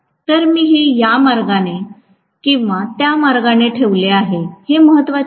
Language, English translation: Marathi, So, it should not matter whether I house it this way or that way